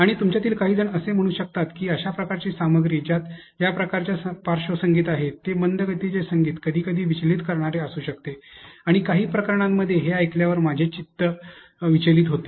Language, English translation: Marathi, And some of you might have say that this type of content which has background music of this sort, at a slow pace could be something distracting and in in some cases I get distracted when I hear how I follow such lessons